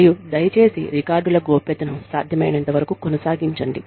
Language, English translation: Telugu, And, please maintain confidentiality, of the records, as far as possible